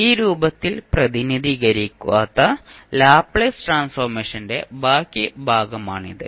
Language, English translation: Malayalam, So, this is the reminder of the, the Laplace Transform, which is not represented in this particular form